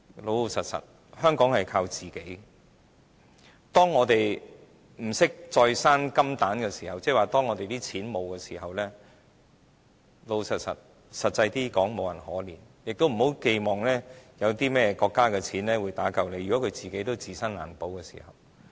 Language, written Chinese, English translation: Cantonese, 老實說，香港要靠自己，當我們不懂再生金蛋，即當我們沒有錢時，坦白說，實際上無人會可憐我們，亦不要寄望國家有錢打救我們，如果國家也自身難保的時候。, Frankly Hong Kong must rely on its own . When we are devoid of any means to create wealth that is when we have no money no one will bother to pity us . Never shall we expect the state to have the means to save us when it is troubled by its own financial problems